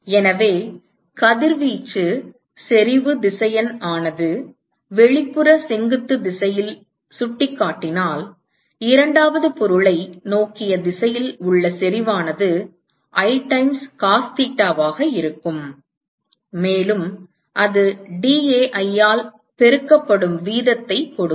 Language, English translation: Tamil, So, if the radiation intensity vector is pointing in the outward perpendicular direction, so I times cos theta will be the intensity in the direction towards the second object, and that multiplied by dAi will give you the rate